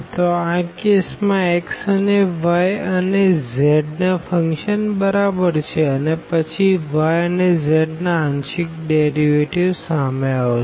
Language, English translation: Gujarati, So, in this case for x is equal to the function of y and z then the partial derivatives with respect to y and z will appear